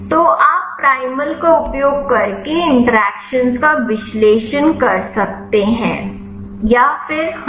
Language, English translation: Hindi, So, you can analyze the interactions using primal or else yeah